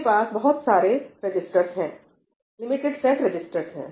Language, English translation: Hindi, It has lots of registers, limited set of registers